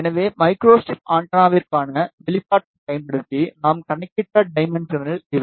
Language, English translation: Tamil, So, these are the dimensions we have calculated using the expression for micro strip antenna